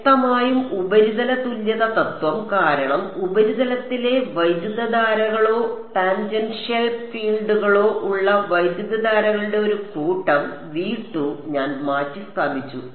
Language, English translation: Malayalam, Clearly surface equivalence principle, because I have replaced V 2 by set of currents on the currents or the tangential fields on the surface